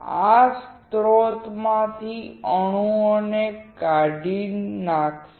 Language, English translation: Gujarati, This will dislodge the atoms from the source